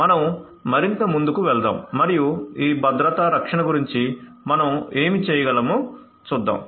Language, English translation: Telugu, So, let us proceed further and see what we can do about this security protection